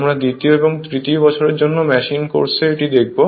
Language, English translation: Bengali, We will learn in your machine course for second or third year